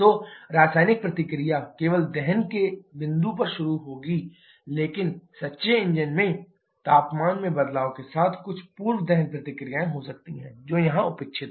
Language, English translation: Hindi, So chemical reaction will start only at the point of combustion but in true engine, we may have some pre combustion reactions with change in temperature, those are neglected here